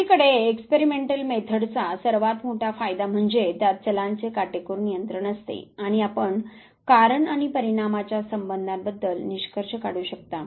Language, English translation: Marathi, Experimental method on the other hand the greatest advantage is that it has a strict control of variables, and you can draw conclusion about the cause and effect relationship